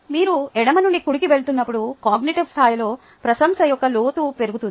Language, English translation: Telugu, ok, the as you go from left to right, the depth of appreciation at the cognitive level increases